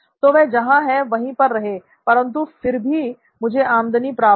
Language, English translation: Hindi, So they can be where they are and still I should be able to get revenue